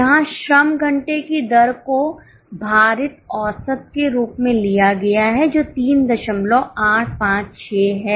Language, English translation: Hindi, Here the labour hour rate is taken as a weighted average which is 3